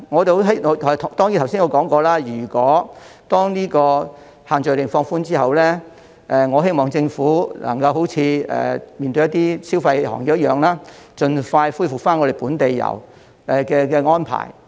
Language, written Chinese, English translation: Cantonese, 當然，正如我剛才說過，當限聚令放寬後，我希望政府能夠好像處理一些消費行業般，盡快恢復本地遊的安排。, Certainly like I just said when the restrictions on group gathering are relaxed I hope that the Government can expeditiously resume the arrangement of local tours just like the way the Government handled the consumer sectors